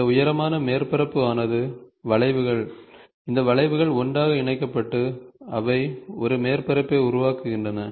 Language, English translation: Tamil, So, this lofted surface, these are the curves, these curves are joined together and they form a surface